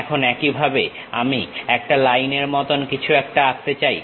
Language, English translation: Bengali, Now, similarly I would like to draw something like a Line